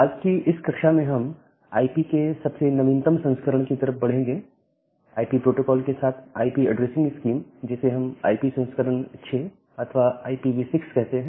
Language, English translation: Hindi, Now, in this particular lecture today, we will move towards the most recent version of IP, the IP addressing scheme along with the IP protocol, which is called a IP version 6 or IPv6